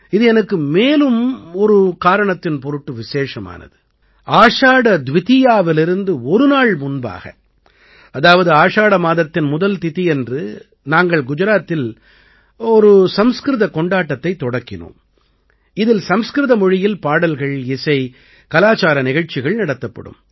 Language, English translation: Tamil, For me this day is also very special I remember, a day before Ashadha Dwitiya, that is, on the first Tithi of Ashadha, we started a Sanskrit festival in Gujarat, which comprises songs, music and cultural programs in Sanskrit language